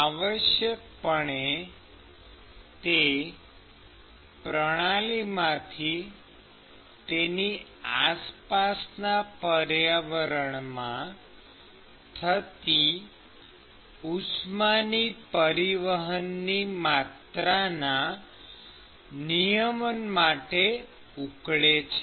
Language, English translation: Gujarati, So, essentially it boils down the total amount of heat that is transferred from the system to its surroundings